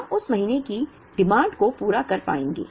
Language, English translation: Hindi, We will be able to meet the demand of that month